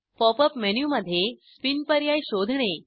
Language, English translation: Marathi, Explore the Spin option in the Pop up menu